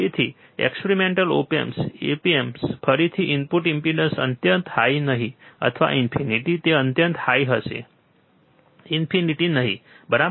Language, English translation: Gujarati, So, practical op amp again input impedance would be not extremely high or not in finite, it would be extremely high, right not infinite